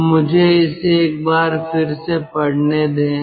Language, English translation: Hindi, so let me read it once again: combined cycle